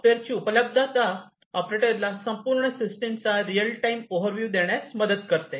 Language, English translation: Marathi, Availability of software also helps in providing real time overview of the entire system to the operators